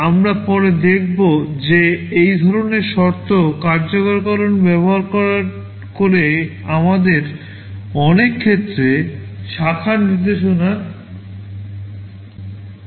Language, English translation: Bengali, We shall see later that using this kind of condition execution allows us to prevent branch instructions in many cases